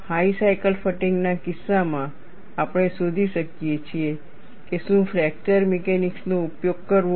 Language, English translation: Gujarati, In the case of high cycle fatigue, we could find out whether fracture mechanics be used